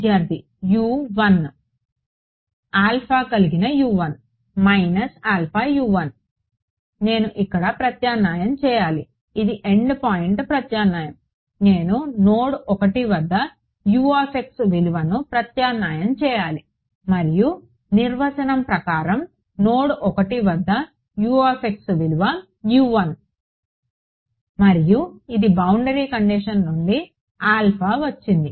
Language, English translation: Telugu, U 1 with an alpha minus alpha U 1 I have to substitute here this is an end point substitution, I have to substitute the value of U x at node 1 and I by definition the value of U x at node 1 is U 1 and this is the alpha that came from the boundary condition right